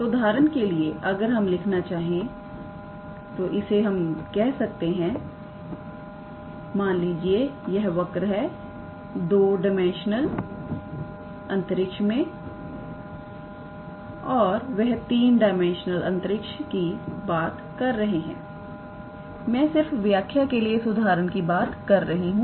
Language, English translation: Hindi, So, for example, if I want to write how to say, let us say this is our curve in 2 dimensional space; here they are talking about 3 dimensional space I am just for the sake of explanation I am just taking this example